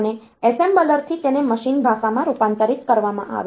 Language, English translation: Gujarati, And from the assembler the; it will be converted into machine language